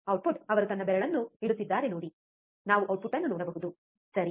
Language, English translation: Kannada, Output is see he is he is placing his finger so, that we can see the output, right